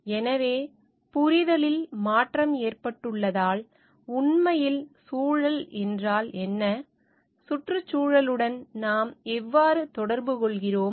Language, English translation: Tamil, So, why because there have been shift in understanding, what environment actually is and how we are related to the environment